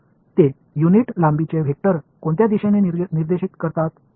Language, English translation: Marathi, So, that is a vector of unit length pointing in which direction